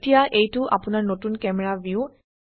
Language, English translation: Assamese, Now, this is your new camera view